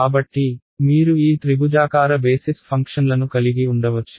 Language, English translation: Telugu, So, you can have these triangular basis functions